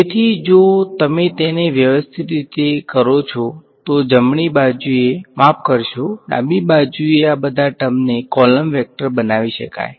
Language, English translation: Gujarati, So, if you do it systematically all of these guys on the right hand side sorry on the left hand side can be made into a column vector right